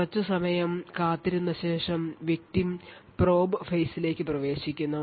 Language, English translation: Malayalam, So, after waiting for some time the victim enters the probe phase